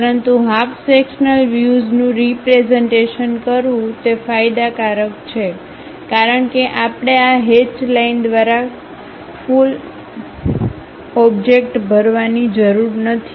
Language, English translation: Gujarati, But, representing half sectional views are advantageous because we do not have to fill the entire object by this hatched lines